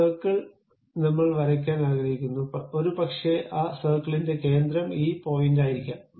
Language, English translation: Malayalam, Circle I would like to draw, maybe center of that circle is this point